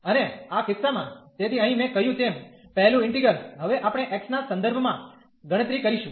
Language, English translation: Gujarati, And in this case, so here the first integral as I said, we will compute with respect to x now